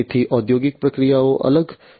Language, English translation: Gujarati, So, industrial processes are different